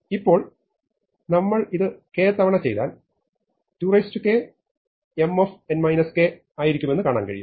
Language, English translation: Malayalam, Now, you can see that if I do this k times I will have 2 to the k M of n minus k